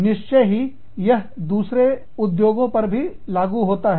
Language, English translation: Hindi, Of course, there would be, other industries also